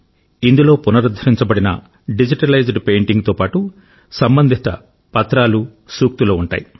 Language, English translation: Telugu, Along with the digitalized and restored painting, it shall also have important documents and quotes related to it